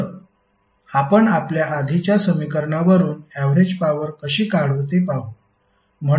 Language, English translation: Marathi, So, let us see how we will calculate the average power power from the previous equation which we derived